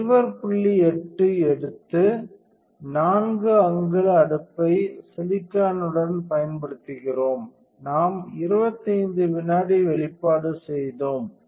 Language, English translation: Tamil, 8 we use the 4 inch wafer with silicon and we did 25 second exposure